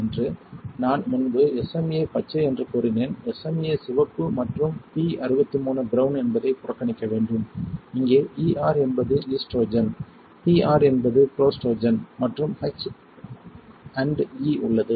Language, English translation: Tamil, There is P63 brown and SMA red I said SMA green earlier that just ignore that SMA red and P63 brown, while there is a ER is estrogen, PR is prostrogen and H & E